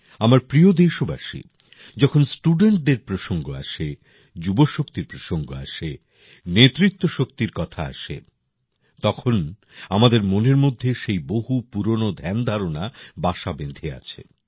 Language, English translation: Bengali, My dear countrymen, when it comes to students, youth power, leadership power, so many outdated stereotypes have become ingrained in our mind